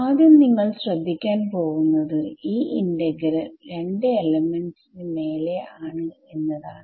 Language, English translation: Malayalam, The first thing you can notice is that this integral is over 2 elements